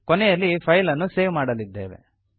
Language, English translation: Kannada, We will finally save the file